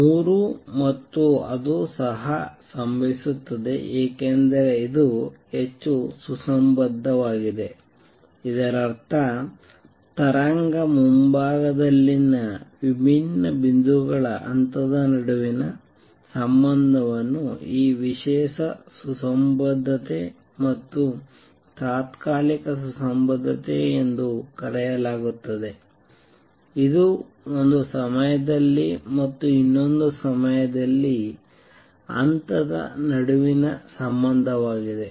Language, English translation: Kannada, Three and that also happens because this is highly coherent; that means, the relationship between phase on different points on the wave front which is known as this special coherence and temporary coherence that is the relationship between phase at one time and the other time